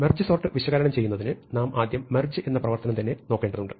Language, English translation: Malayalam, So, in order to analyze merge sort, we first need to look at the merge operation itself